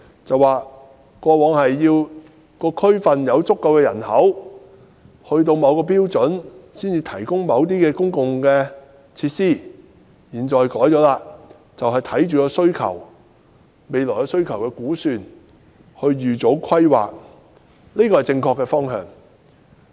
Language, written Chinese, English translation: Cantonese, 政府表示，過往要求地區內有足夠人口並達至某個標準，政府才會提供某些公共設施，但現在做法已更改，便是視乎未來需求的估算來預早規劃，這是正確的方向。, According to the Government it would previously only provide certain public facilities after the population of a district had met the required standard . However the Government has changed its practice now . It will plan ahead based on estimated future demand which is a move in the right direction